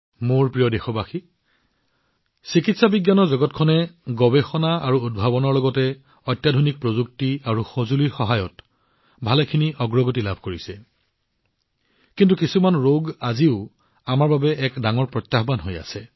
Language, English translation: Assamese, My dear countrymen, the world of medical science has made a lot of progress with the help of research and innovation as well as stateoftheart technology and equipment, but some diseases, even today, remain a big challenge for us